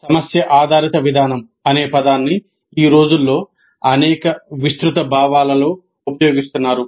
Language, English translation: Telugu, The term problem based approach is being used in several broad senses these days